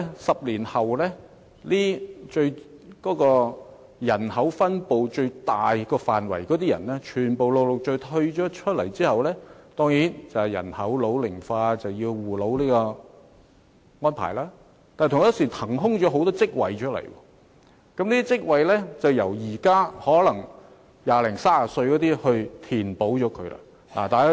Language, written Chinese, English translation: Cantonese, 十年後，現時佔人口最大比例的人會陸續退休，人口老齡化當然需要有護老的安排，但同一時間亦會有不少職位騰空出來，要由現時二三十歲的人填補。, In the next 10 years the people representing the largest proportion of the population now are gradually retiring . The ageing population naturally needs elderly care services but at the same time many job vacancies will appear waiting to be filled by people now in their twenties and thirties